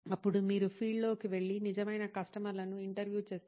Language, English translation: Telugu, Then you go out into the field and interview real customers